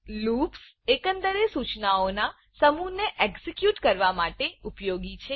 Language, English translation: Gujarati, Loops are used to execute a group of instructions repeatedly